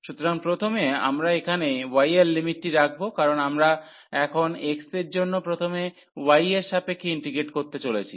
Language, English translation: Bengali, So, first we will put the limit here for y, because we are in going to integrate first with respect to y for x for instance in this case now